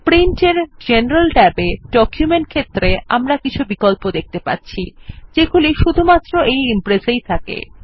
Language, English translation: Bengali, In the General tab, under Print, in the Document field, we see various options which are unique to Impress